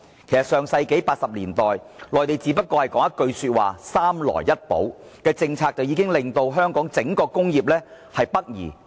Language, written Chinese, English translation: Cantonese, 在上世紀80年代，內地只說出一句"三來一補"政策，便吸引了香港的整體工業北移。, You see back in the 1980s simply with one single policy called three forms of processingassembly operations and compensatory trade the Mainland already managed to trigger the wholesale shift of Hong Kong industries to the north